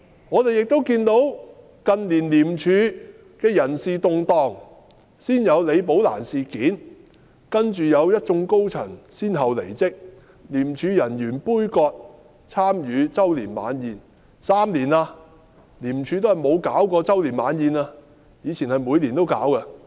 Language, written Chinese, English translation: Cantonese, 我們亦看到近年香港廉政公署的人事動盪，先有李寶蘭事件，繼而一眾高層先後離職，由於廉署人員的杯葛，廉署的周年晚宴已停辦了3年，以前是每年都舉辦的。, We have also noted the personnel changes in the Independent Commission Against Corruption ICAC in recent years . The Rebecca LI incident was followed by the departure of a number of directorate officers . Due to the boycott of ICAC staff the Annual Dinner of ICAC which is an annual event has been cancelled three years in a row